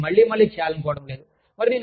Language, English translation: Telugu, But, i would not want to do it, again, and again